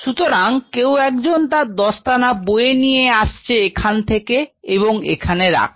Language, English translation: Bengali, So, he carries the gloves from here and he put on the gloves here